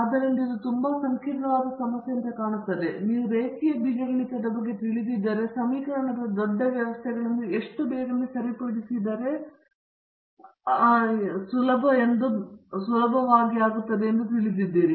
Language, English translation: Kannada, So, it looks like a very complex problem, but if you are familiar with linear algebra you will be able to easily appreciate how quickly we are able to solve even large systems of equations right